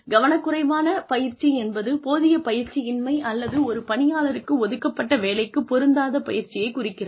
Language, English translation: Tamil, Negligent training is insufficient training, or training not suited for the job, the employee may be assigned